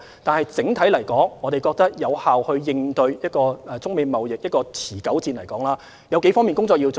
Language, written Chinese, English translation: Cantonese, 但是，整體來說，要有效應對中美貿易持久戰，我們覺得有數方面的工作要做。, However general speaking we must work on a few areas to effectively respond to the China - US trade war which may last for a long time